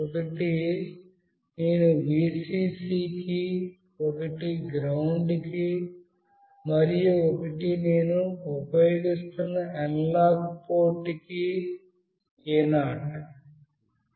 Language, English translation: Telugu, One I will be connecting to Vcc, one to GND, and one to the analog port that I will be using is A0